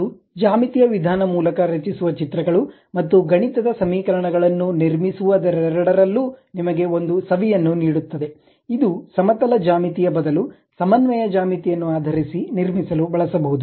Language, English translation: Kannada, That gives you a flavor in terms of both geometrical way of constructing the pictures and mathematical functions which might be using to construct that more like based on coordinate geometry rather than plane geometry, great